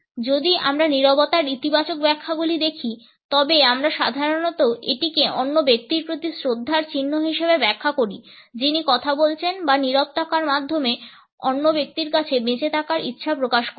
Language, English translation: Bengali, If we look at the positive interpretations of silence we normally interpret it as a sign of respect towards the other person who is speaking or a desire to live in option to the other person by remaining silent